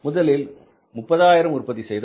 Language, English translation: Tamil, Earlier we were producing 30,000